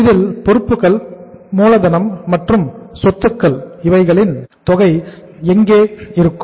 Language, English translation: Tamil, This is the liabilities and capital and capital here it is assets and it is here amount here